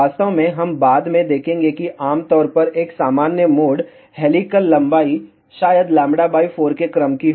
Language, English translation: Hindi, In fact, we will see later on that typically a normal mode helical length maybe of the order of lambda by 4